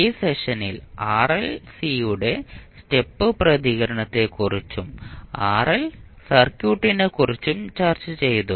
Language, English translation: Malayalam, In this session we discussed about the step response of RC as well as RL circuit